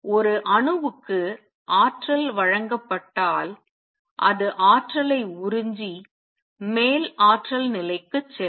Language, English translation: Tamil, If energy is given to an atom it absorbs energy and goes to the upper energy level